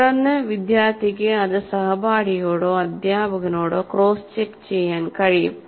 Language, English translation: Malayalam, And then I can get it cross checked by my peer or by the teacher